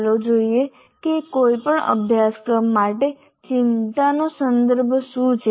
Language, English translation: Gujarati, Let us look at what is the context of concern for any course